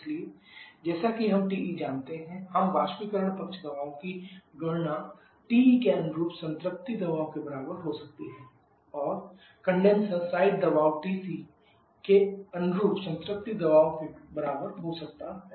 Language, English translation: Hindi, So as we know TE so we can calculate the evaporator site pressure to be equal to the saturation pressure corresponding to TE and condenser side pressure to be equal to the saturation pressure corresponding to TC